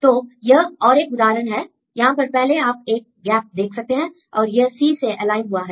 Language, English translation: Hindi, So, this is another example, if you see one gap and here this is aligned C and G are aligned